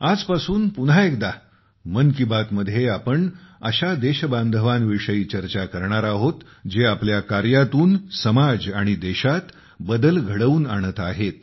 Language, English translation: Marathi, From today, once again, in ‘Mann Ki Baat’, we will talk about those countrymen who are bringing change in the society; in the country, through their endeavour